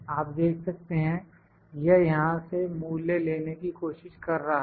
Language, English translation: Hindi, You can see it is trying to pick the value from here